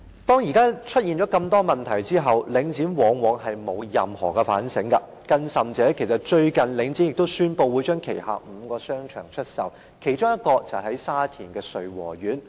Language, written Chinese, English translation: Cantonese, 當現在出現如此多問題後，領展往往不作反省，更甚者，最近領展宣布會將旗下5個商場出售，其中一個位於沙田穗禾苑。, In the end the costs will definitely be passed onto the residents . Despite the emergence of so many problems now Link REIT seldom makes any reflection . Worse still Link REIT has recently announced that it will sell five of its shopping arcades one of which is located in Sui Wo Court Sha Tin